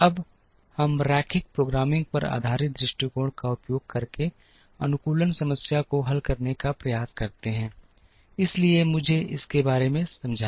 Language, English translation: Hindi, We now try and address the optimization problem by using an approach based on linear programming, so let me explain that next